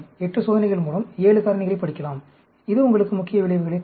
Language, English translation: Tamil, 7 factors can be studied with the 8 experiments; it will give you the main effects